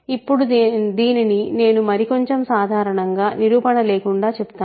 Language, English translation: Telugu, And now, more generally I will say this without proof